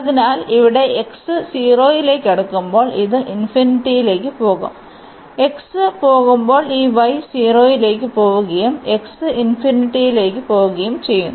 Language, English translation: Malayalam, So, here as x is approaching to 0 this will go to infinity and same thing when x will go this y will go to 0 and x is going to infinity